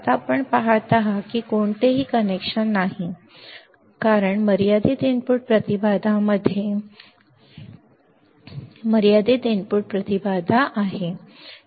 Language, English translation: Marathi, Now, you see there is no connection, there is no connection because in finite input impedance in finite input impedance right